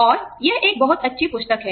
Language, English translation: Hindi, And, it is a very good book